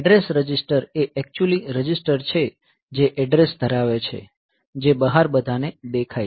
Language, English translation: Gujarati, So, address register is actually the register which will hold the address which is visible to the outside world